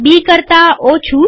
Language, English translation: Gujarati, Less than B